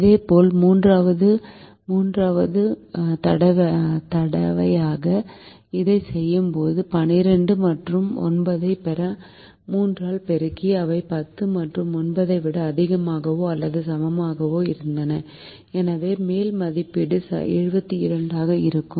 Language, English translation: Tamil, the third time when we did this, we multiplied by three to get twelve and nine, which were greater than or equal to ten and nine, and therefore the upper estimate happen to be seventy two